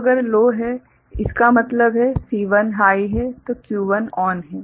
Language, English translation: Hindi, So, C2 is low; that means, C1 is high; so Q1 is ON